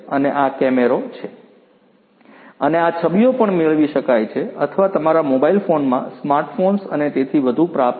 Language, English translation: Gujarati, And this is this camera and this camera and the images could also be retrieved or what could be received in your mobile phones the smart phones and so on